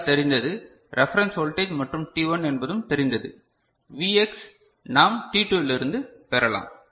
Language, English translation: Tamil, So, VR is known the reference voltage and t1 is also known so, Vx we can get from t2